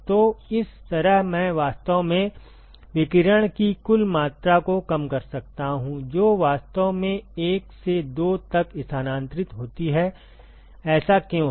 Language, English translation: Hindi, So, that way I can actually cut down the total amount of radiation that is actually transferred from 1 to 2, why is that